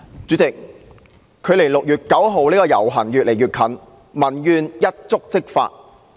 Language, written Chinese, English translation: Cantonese, 主席，距離6月9日的遊行活動越來越近，民怨一觸即發。, President popular grievances are on the verge of eruption in the lead - up to the procession on 9 June